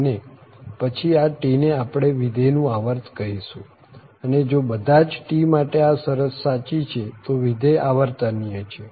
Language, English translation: Gujarati, And then, we call that this T is the period of the function and the function is periodic if this property holds for all t